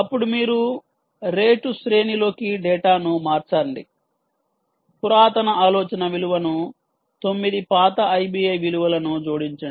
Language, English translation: Telugu, um, then you say: shift data into the rate array, drop the oldest idea value, add up to nine oldest i b i values